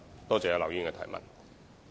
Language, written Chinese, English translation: Cantonese, 多謝劉議員的質詢。, I thank Mr LAU for his supplementary question